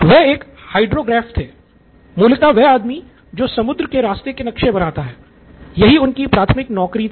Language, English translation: Hindi, He was a hydrographe the guy who is to map the seas, so his job was primary job was that